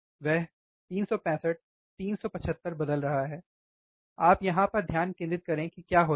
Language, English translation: Hindi, He is changing 365, 375 you focus on here what happens